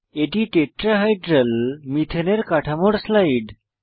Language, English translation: Bengali, Here is a slide for the Tetrahedral Methane structure